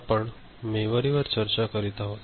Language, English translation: Marathi, We are discussing Memory